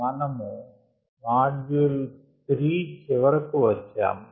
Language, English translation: Telugu, we are towards the end of module three